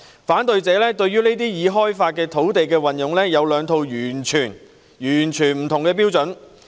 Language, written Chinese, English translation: Cantonese, 反對者對於已開發土地的運用有兩套完全不同的標準。, However judged by what happened in the past the opponents have two totally different sets of standards for the use of developed land sites